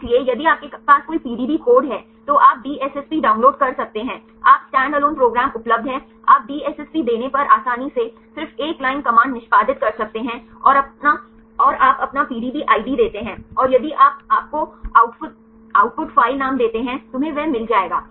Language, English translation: Hindi, So, if you have any PDB code, you can download DSSP you can standalone program is available, you can execute easily just one line command if you give the DSSP and you give the your PDB ID, and if you give you the output file name you will get it